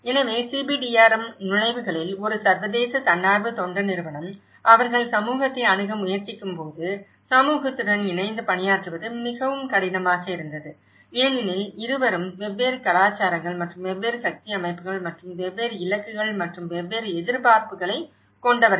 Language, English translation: Tamil, So, how to facilitate the CBDRM; the entry points, an international NGO when they try to approach the community, it was very difficult to work with the community because both are from different cultures and different power setups and different targets and different expectations